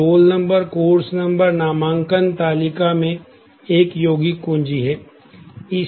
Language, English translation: Hindi, So, the roll number, course number in the enrolment table is a compound key